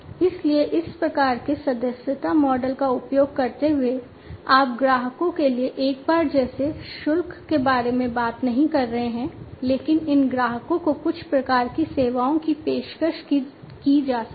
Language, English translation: Hindi, So, using this kind of subscription model, you are not talking about is one time kind of charge to the customers, but these customers can be offered some kind of services